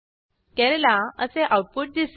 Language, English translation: Marathi, It will print Kerala